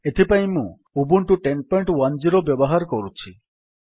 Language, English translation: Odia, For this purpose, I am using Ubuntu 10.10